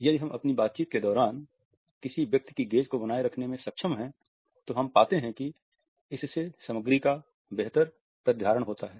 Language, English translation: Hindi, If we are able to retain the gaze of a person during our interaction, we find that it results in the better retention of the content